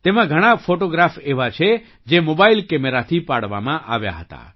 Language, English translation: Gujarati, There are many photographs in it which were taken with a mobile camera